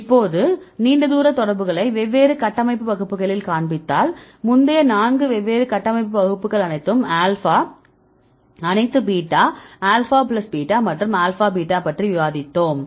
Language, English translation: Tamil, So, now I show the long range contacts, right at the different structure classes, right as I discussed earlier four different structure classes all alpha, all beta, alpha plus beta, and alpha beta